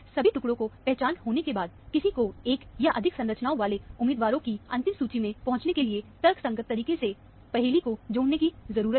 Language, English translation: Hindi, After all the fragments are identified, one needs to connect the puzzle in a logical manner, to arrive at the final list of candidates, containing one or more structures